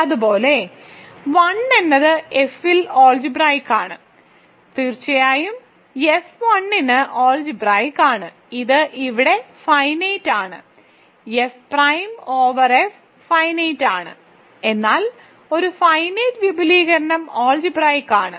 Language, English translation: Malayalam, Similarly, a 1 is algebraic over F certainly a 1 then is algebraic over F a 0, so this is finite everything here is finite, so L prime over F is finite, but a finite extension is algebraic, ok